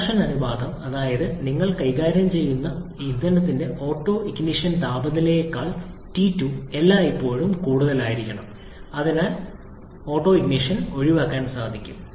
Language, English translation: Malayalam, We said compression ratio such that T2 should always be greater than the autoignition temperature for the fuel that you are dealing with, so that the autoignition can be avoided